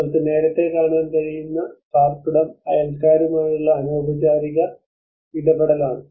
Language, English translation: Malayalam, The housing where you can see earlier it was more of an informal way of interactions with the neighbours